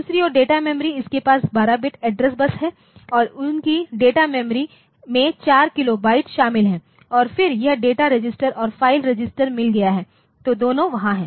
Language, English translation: Hindi, On the other hand the data memory so, it has got 12 bit address bus and their that that data memory is consists 4 kilobyte and then it has got data registers and the file registers so, both are there